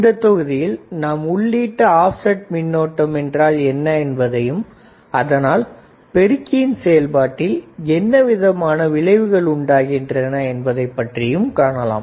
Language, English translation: Tamil, This module we will see what exactly is an input, offset current and how does input offset current effects the amplifier operation right